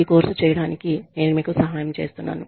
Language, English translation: Telugu, I have been helping you, with this course